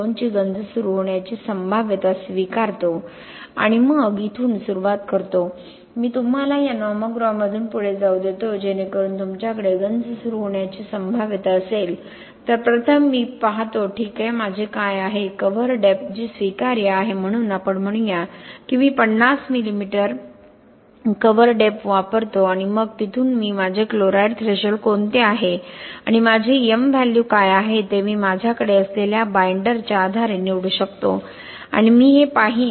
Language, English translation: Marathi, 2 in one case and then I start from here, let me walk you through this nomogram so you have a probability of corrosion initiation then first I will see okay what is my cover depth which is acceptable, so let us say I use a cover depth of 50 mm and then from there I will see which is my chloride threshold and what is my m value, m value I can choose based on the binder which I have and then whichever chloride threshold value for the particular steel cementitious system, you pick that